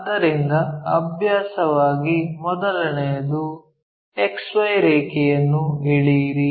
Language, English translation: Kannada, So, the first thing as a practice draw a XY line